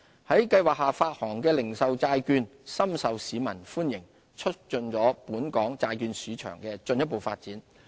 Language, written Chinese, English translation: Cantonese, 在計劃下發行的零售債券，深受市民歡迎，促進了本港債券市場的進一步發展。, Retail bonds issued under GBP have been well received by the public encouraging further development of the local bond market